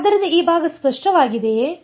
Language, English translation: Kannada, So, is this part is clear